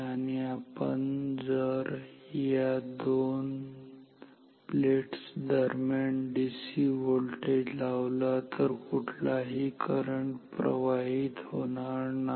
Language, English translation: Marathi, And if we apply voltage between these two DC voltage between these two across these two plates, no current flows at all